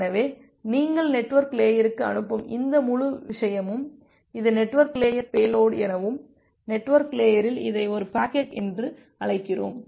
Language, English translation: Tamil, So, this entire thing that you are passing to the network layer, that becomes the network layer payload and in the network layer that concept we call it as a packet